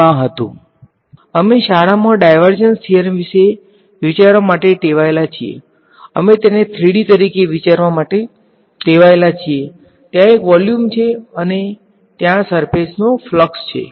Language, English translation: Gujarati, Over ds that was in 3D we are used to thinking of divergence theorem for all the years of schooling, we are used to thinking of it is as 3D thing right there is a volume and there is a surface flux